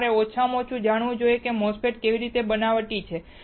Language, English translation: Gujarati, That you should know at least how a MOSFETs is fabricated